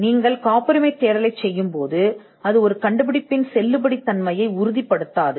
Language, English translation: Tamil, When you do a patentability search, when you do a search, it does not guarantee or it does not warrant the validity of an invention